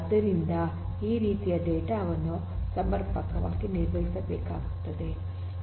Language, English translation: Kannada, So, this kind of data will have to be dealt with adequately